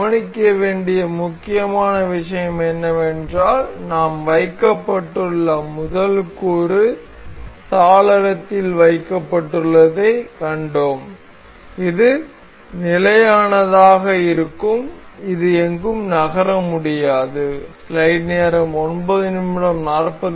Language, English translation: Tamil, The important thing to note is the first component that we have been placed, we have see placed in the window this will remain fixed and it cannot move anywhere